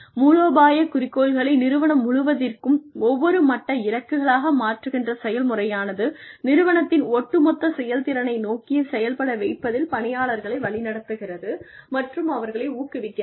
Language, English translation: Tamil, Process of translating and cascading strategic aims, into goals at every level, throughout an organization, guides and encourages people, to contribute towards the overall performance of the organization